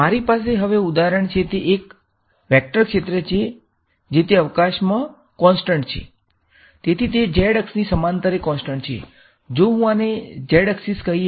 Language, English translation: Gujarati, The next thing the next example that I have is a vector field that is constant in space